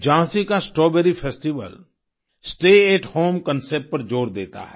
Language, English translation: Hindi, Jhansi's Strawberry festival emphasizes the 'Stay at Home' concept